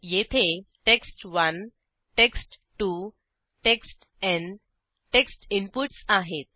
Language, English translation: Marathi, Here, text1, text2, textN are the text inputs